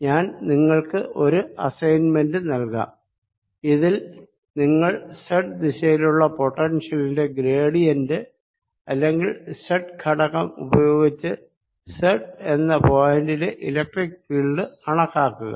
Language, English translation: Malayalam, as simple as that in your assignment i will give you a problem: to calculate the electric field in that z direction, at z, by taking gradient of this potential in this z direction, or or the z component of the gradient